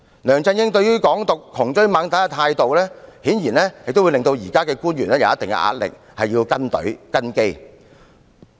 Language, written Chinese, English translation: Cantonese, 梁振英對"港獨"窮追猛打的態度，顯然對現任官員施加一定壓力，需要"跟隊"及"跟機"。, Obviously LEUNG Chun - yings relentless attacks against Hong Kong independence would to a certain degree exert pressure on the incumbent officials to follow suit